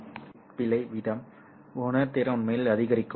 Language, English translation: Tamil, The lower the bit error rate, the sensitivity actually goes up